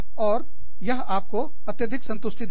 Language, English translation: Hindi, And, that will give you, so much of satisfaction